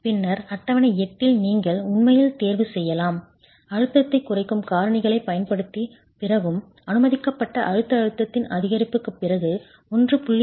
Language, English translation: Tamil, Go to table 8 and then in table 8 you can actually choose, let's say your basic compressive stress after the application of the stress reduction factors and after the application of the increase in permissible compressive stress works out to be about 1